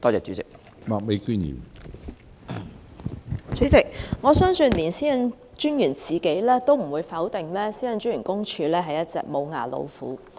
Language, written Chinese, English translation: Cantonese, 主席，我相信連專員自己也不會否定公署是一隻"無牙老虎"。, President I believe even the Commissioner will not deny that PCPD is a toothless tiger